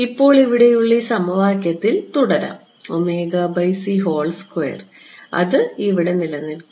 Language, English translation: Malayalam, This equation over here